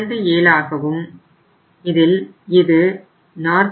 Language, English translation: Tamil, Here in this case will be 49